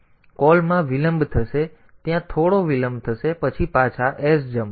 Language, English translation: Gujarati, So, a call delay will be produced some delay there then sjmp back